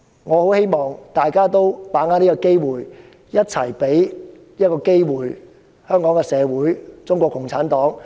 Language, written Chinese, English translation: Cantonese, 我很希望大家把握這個機會，一起給予香港社會和中共一個機會。, I greatly hope that we all will seize this opportunity to give the Hong Kong society as well as CPC a chance